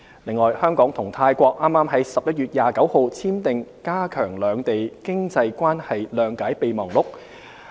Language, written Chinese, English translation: Cantonese, 此外，香港與泰國剛於11月29日簽訂"加強兩地經濟關係諒解備忘錄"。, Hong Kong and Thailand have also signed a memorandum of understanding on strengthening economic relations recently on 29 November